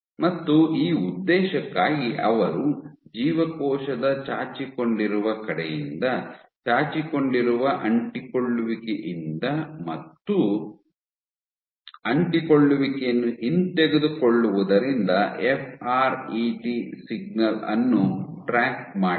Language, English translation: Kannada, And for this purpose, what there was they tracked the FRET signal from the protruding side of the cell, from protruding adhesions and retracting adhesions